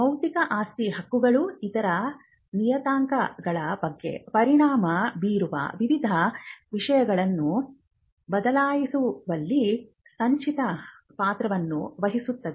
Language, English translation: Kannada, Because when you see that intellectual property rights play a cumulative role in changing various things which can affect other parameters as well